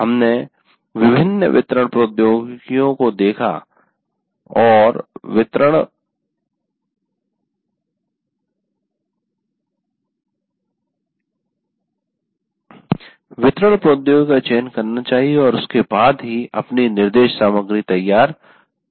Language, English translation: Hindi, So we looked at the various delivery technologies and you have to make the choice of the delivery technology and then only you can actually prepare your instruction material